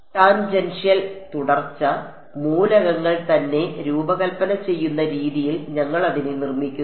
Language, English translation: Malayalam, Tangential continuity; we have building it into the way we design the elements itself